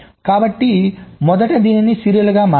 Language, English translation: Telugu, so let us first shift this serially